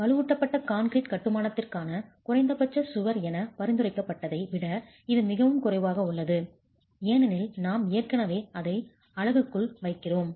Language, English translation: Tamil, This is far lesser than what is prescribed as minimum cover for reinforced concrete construction, primarily because we are already placing it within the unit